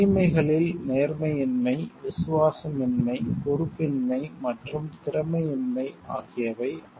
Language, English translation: Tamil, Vices could include dishonesty, disloyalty, irresponsibility and incompetence